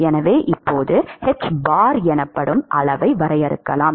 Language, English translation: Tamil, So now, we can define a quantity called hbar